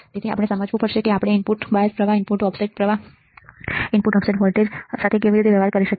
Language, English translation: Gujarati, So, we have to understand how we can deal with input bias current, input offset voltage, input offset current right